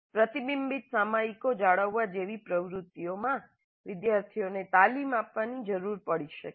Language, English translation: Gujarati, Students may need to be trained in activities like maintaining reflective journals